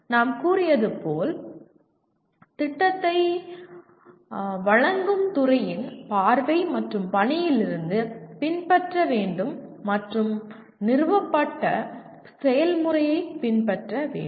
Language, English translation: Tamil, And as we said must follow from the vision and mission of the department offering the program and follow an established process